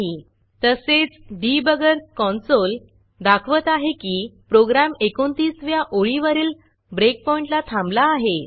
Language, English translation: Marathi, There is also a Debugger Console that says that the program hit a breakpoint on line 29 and has stopped there